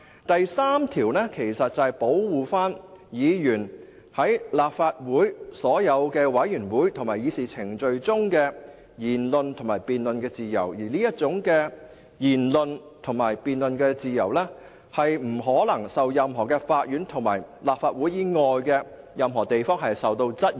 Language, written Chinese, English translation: Cantonese, 第3條其實是保護議員在立法會所有委員會及議事程序中的言論及辯論自由，而這種言論及辯論自由不得在任何法院或立法會以外的任何地方受到質疑。, Section 3 actually seeks to protect the freedom of speech and debate of Members in all committees and proceedings of the Legislative Council and such freedom of speech and debate shall not be liable to be questioned in any court or place outside the Council